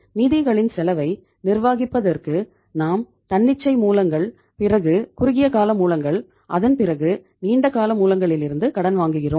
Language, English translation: Tamil, So to manage the cost of funds we borrow from the spontaneous sources then short term sources and then from the long term sources